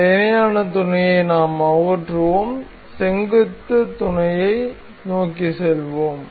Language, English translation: Tamil, We will remove this parallel mate and we will move on to perpendicular mate